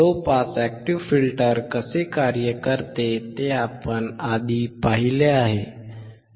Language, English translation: Marathi, We have earlier seen how the low pass active filter works